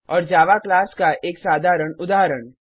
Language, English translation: Hindi, Now let us see what is the class in Java